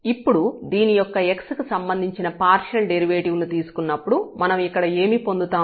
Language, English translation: Telugu, So, here when we take the partial derivative of this with respect to x so, what we will get here we have to differentiate